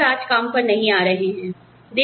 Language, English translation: Hindi, No doctors are coming into work, today